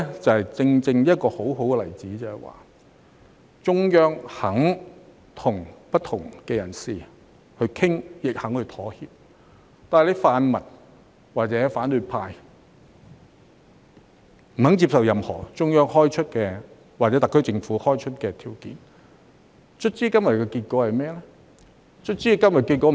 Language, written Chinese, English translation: Cantonese, 這正正是一個很好的例子，說明中央肯與不同的人士討論，亦肯作出妥協，但泛民或反對派卻不接受任何中央開出或特區政府開出的條件，最終今天有何結果？, This is precisely a good example to illustrate that the Central Authorities are willing to discuss with different parties and are willing to make compromise but the pan - democratic camp or the opposition camp did not accept any of the criteria set out by the Central Authorities or the SAR Government . So what is the result today in the end?